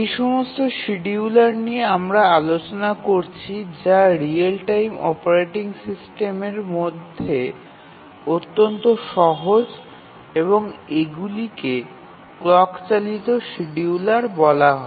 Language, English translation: Bengali, So, all these schedulers that we are looking at are at the simplest end of the real time operating systems and these are called the clock driven schedulers